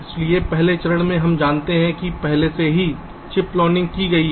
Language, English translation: Hindi, so in the first step, ah, we assume that already chip planning is done